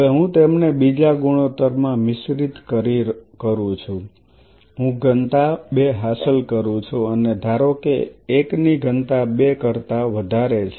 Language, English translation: Gujarati, Now I mix them in another ratio I achieve a density two and assuming density 1 is more than density 2